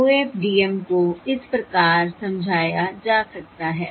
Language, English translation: Hindi, OFDM can be explained as follows: So consider the following symbol